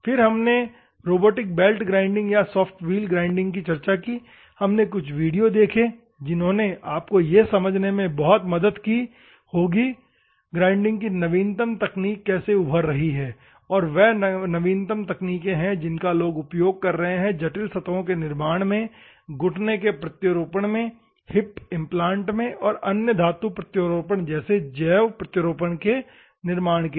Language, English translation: Hindi, Then, the robotic belt grinding or soft wheel grinding, we have seen and the videos might have helped you in a great way to understand how the latest technology of the grinding is emerging, these are the latest technologies, people are using for manufacturing of the complex surfaces, manufacturing of the bio implants like knee implant, hip implant and other metallic implants in the industries